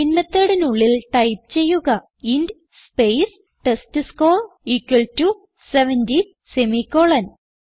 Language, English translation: Malayalam, So inside the Main method, type int space testScore equal to 70 semicolon